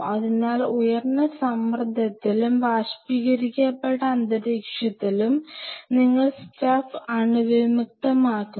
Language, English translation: Malayalam, So, in a high pressure and in a vaporized environment you sterilize the stuff